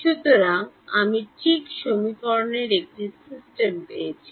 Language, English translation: Bengali, So, I got a system of equations right